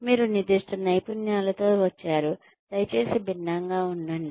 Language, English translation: Telugu, You have come with a specific set of skills, please remain distinct